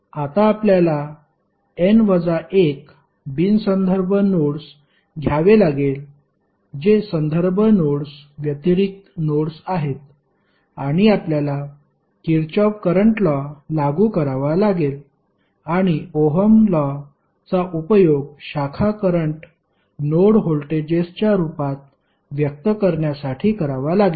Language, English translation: Marathi, Now, you have to take n minus 1 non reference nodes that is the nodes which are other than the reference nodes and you have to apply Kirchhoff Current Law and use Ohm's law to express the branch currents in terms of node voltages